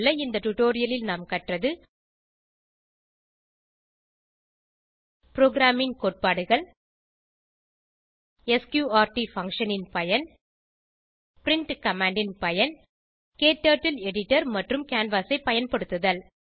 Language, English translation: Tamil, In this tutorial, we have learnt Programming concepts Use of sqrt function Use of print command Using KTurtle editor and canvas